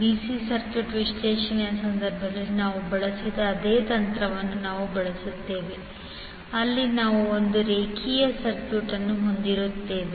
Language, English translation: Kannada, We will use the same technique which we used in case of DC circuit analysis where we will have one circuit linear circuit